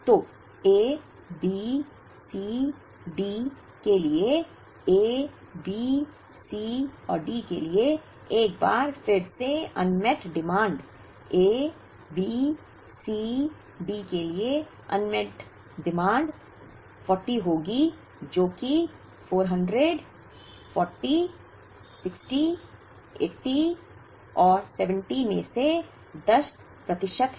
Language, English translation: Hindi, So, the unmet demand once again for A B C D, for A B C and D, the unmet demand for A B C D would be 40, which is 10 percent of 400, 40, 60, 80 and 70